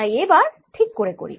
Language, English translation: Bengali, so let's do that properly